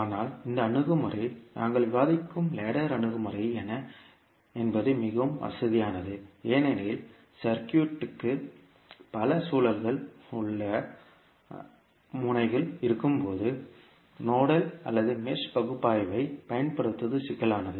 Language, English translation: Tamil, But this approach, what is the ladder approach we discuss is more convenient because when the circuit has many loops or nodes, applying nodal or mesh analysis become cumbersome